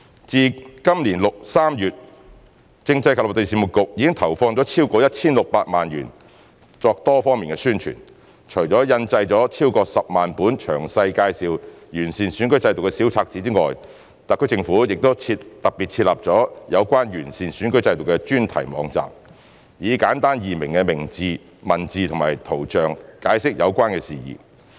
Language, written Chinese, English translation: Cantonese, 自今年3月，政制及內地事務局已投放超過 1,600 萬元作多方面宣傳，除印製超過10萬本詳細介紹完善選舉制度的小冊子外，政府亦特別設立有關完善選舉制度的專題網站，以簡單易明的文字及圖像解釋有關事宜。, Since March this year CMAB has allocated more than 16 million on various publicity activities . In addition to printing and distributing more than 100 000 copies of booklets outlining the improved electoral system in detail the Government has set up a dedicated website on improving the electoral system with user friendly texts and diagrams explaining the related matters